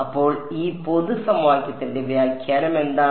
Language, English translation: Malayalam, So, what is this what is an interpretation of this general equation that I have